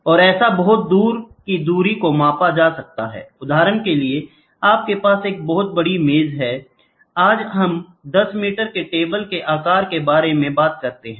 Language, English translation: Hindi, And by the way, very far up distance can be measured, for example, you have a very large table, today we talk about table size table bed size of 10 meters